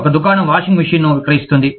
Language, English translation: Telugu, A shop sells the washing machine